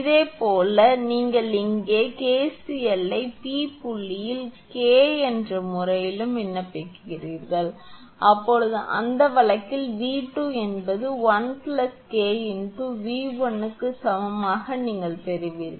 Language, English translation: Tamil, Similarly, you apply here KCL at P point also in terms of K then you will get in that case V 2 is equal to 1 plus K V 1 you will get